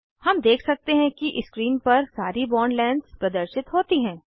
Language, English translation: Hindi, We can see on the panel all the bond lengths are displayed